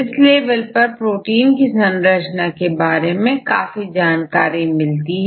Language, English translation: Hindi, So, there are various levels of proteins structures